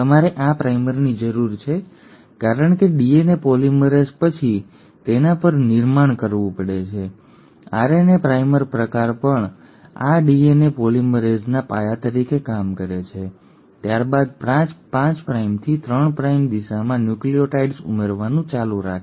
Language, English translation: Gujarati, You need this primer because DNA polymerase has to then build upon it, also RNA primer kind of acts as a foundation for this DNA polymerase to then keep on adding the nucleotides in a 5 prime to 3 prime direction